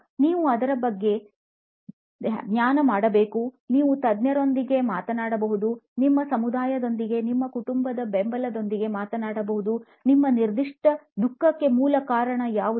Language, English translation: Kannada, You can meditate about it, you can talk to experts, you can talk to your community, your family support and get the root cause of what is it that you are going through, what is the root cause of your particular suffering